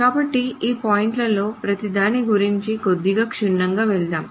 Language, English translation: Telugu, So, let me go over each of these points a little bit